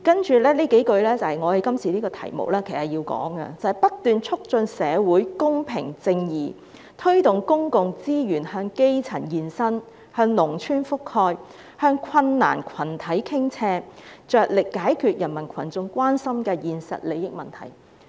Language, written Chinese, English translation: Cantonese, "接下來的幾句正切合我們今天的辯論題目，應在這環節中提出："不斷促進社會公平正義，推動公共資源向基層延伸、向農村覆蓋、向困難群體傾斜，着力解決人民群眾關心的現實利益問題。, We should continue to improve public services and the following few lines especially relevant to the question of our debate today should be cited in this session enhance social fairness and justice and direct more public resources to communities rural areas and groups in need of help . Priority should be given to matters that concern the peoples immediate interests